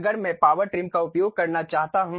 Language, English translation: Hindi, If I want to really use Power Trim